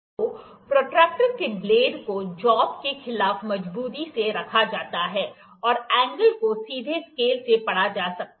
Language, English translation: Hindi, So, the blade of the protractor is held firmly against the job, and the angle can be directly read from the scale